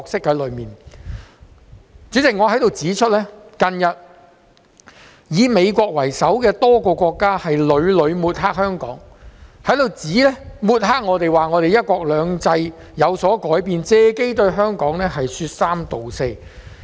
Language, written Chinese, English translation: Cantonese, 代理主席，我想在此指出，近日以美國為首的多個國家屢屢抹黑香港，指我們的"一國兩制"有所改變，借機對香港說三道四。, Deputy President I wish to point out that led by the USA a number of countries have been constantly smearing Hong Kong in recent days by alleging that there were changes in our one country two systems